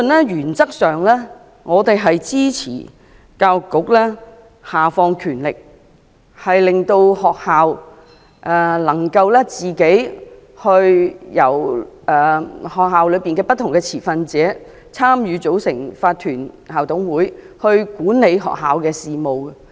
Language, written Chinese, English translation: Cantonese, 原則上，我們支持教育局下放權力，令學校能夠透過由校內不同持份者參與及組成的法團校董會自行管理學校的事務。, We support in principle the Education Bureau to devolve its powers to enable schools to manage their own affairs through the Incorporated Management Committees IMCs that involve and comprise different school stakeholders